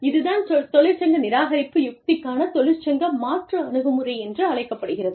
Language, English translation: Tamil, This is called the, union substitution approach to union avoidance strategy